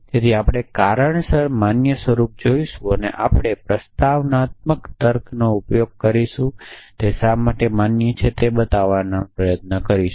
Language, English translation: Gujarati, So, we will look at valid forms of reason that we will use in propositional logic and try to show why they are valid also in the